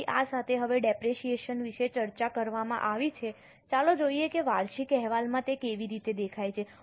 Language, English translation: Gujarati, Now having discussed about depreciation, let us have a look at how it appears in the annual report